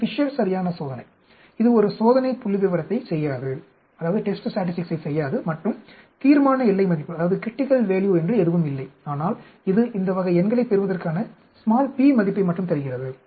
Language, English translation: Tamil, This Fisher’s exact test, it does not do a test statistics and there is no critical value, but it gives you only a p value for observing this type of numbers